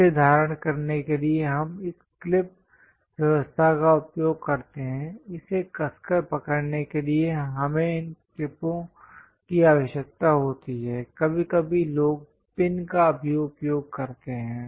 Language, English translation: Hindi, To hold it, we use this clip arrangement ; to hold it tightly, we require these clips, sometimes people use pins also